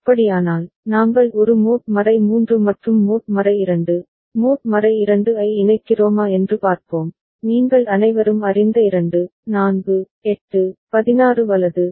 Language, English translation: Tamil, If that is the case, then let us see if we connect a mod 3 and mod 2, mod 2 you all know right 2, 4, 8, 16 right